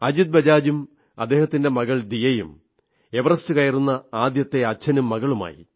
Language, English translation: Malayalam, Ajit Bajaj and his daughter became the first ever fatherdaughter duo to ascend Everest